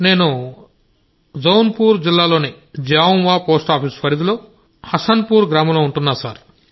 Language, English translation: Telugu, I am a resident of village Hasanpur, Post Jamua, District Jaunpur